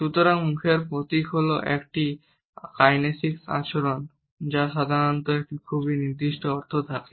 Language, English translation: Bengali, So, facial emblem is a kinesic behavior that usually has a very specific meaning